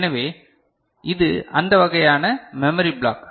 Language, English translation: Tamil, So, this is that kind of memory block, right